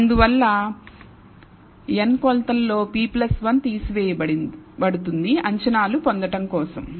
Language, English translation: Telugu, Therefore out of the n measurements p plus 1 are taken away for the deriving the estimates